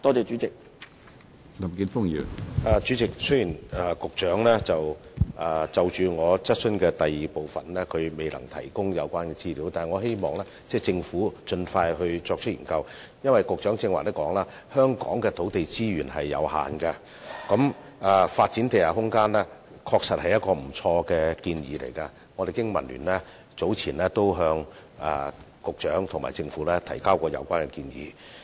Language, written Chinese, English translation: Cantonese, 主席，雖然局長未能就我所提質詢的第二部分提供資料，但我希望政府能盡快作出研究，因為正如局長剛才所說，香港的土地資源有限，發展地下空間確實是不錯的建議，而經民聯早前已向局長和政府提出有關建議。, President although the Secretary cannot provide the information requested in part 2 of my question I hope the Government will undertake a study as soon as possible because as mentioned by the Secretary just now land resources in Hong Kong are limited and it is indeed a good idea to develop underground space which the Business and Professionals Alliance for Hong Kong has proposed earlier to both the Secretary and the Government